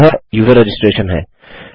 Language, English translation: Hindi, And that is user registration